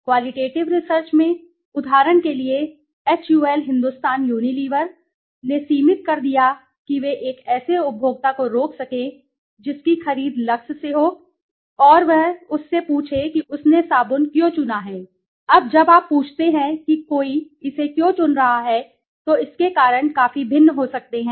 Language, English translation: Hindi, In the qualitative research, for example, HUL Hindustan Unilever limited they may stop a consumer whose purchase LUX and ask him or her why he or she has chosen the soap, now when you ask why somebody is choosing it the reasons could be quite different right, so by understanding the reason